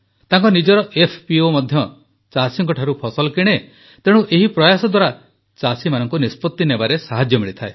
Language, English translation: Odia, His own FPO also buys produce from farmers, hence, this effort of his also helps farmers in taking a decision